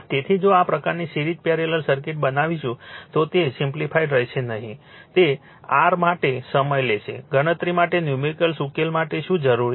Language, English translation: Gujarati, So, if you make this kind of series parallel circuit it will be not easy it will take time for your what you call for solving numerical for computation